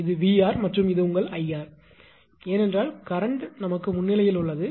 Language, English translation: Tamil, This is VR right and this is your I r because current is leading